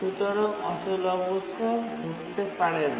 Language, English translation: Bengali, So, deadlock cannot occur